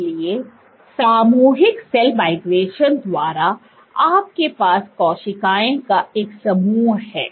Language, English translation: Hindi, So, by collective cell migration you have a group of cells